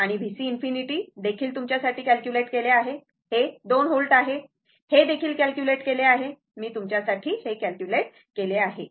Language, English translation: Marathi, And V C infinity also calculated for you, it is 2 volt that also calculated, I calculated for you